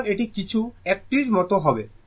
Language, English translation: Bengali, So, it will be something like one, right